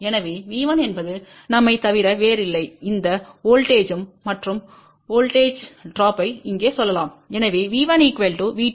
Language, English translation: Tamil, So, V 1 is nothing but we can say this voltage plus voltage drop over here